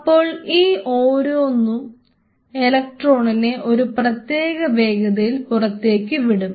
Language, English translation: Malayalam, So, each one of them will be emitting it with that unique velocity